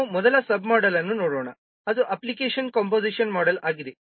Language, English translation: Kannada, Now let's see the first sub model, that is the application composition model